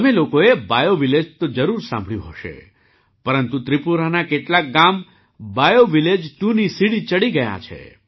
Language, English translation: Gujarati, You must have heard about BioVillage, but some villages of Tripura have ascended to the level of BioVillage 2